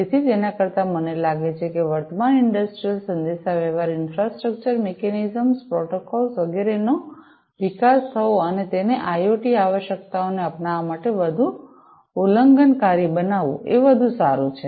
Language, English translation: Gujarati, So, rather I think what is better is to have an evolution of the existing, industrial, communication, infrastructure, mechanisms, protocols, etcetera and making it much more transgressional to adopt IoT requirements